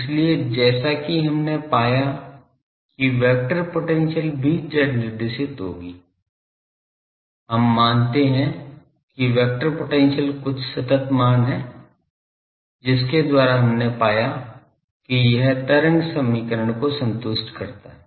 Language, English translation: Hindi, So, according to we found that vector potential also will be z directed we assume that vector potential is some constant by r by that we found that ok, it is satisfying the wave equation